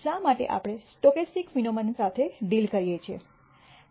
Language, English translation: Gujarati, Why are we dealing with stochastic phenomena